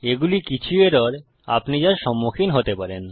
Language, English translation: Bengali, These are some of the errors you are likely to encounter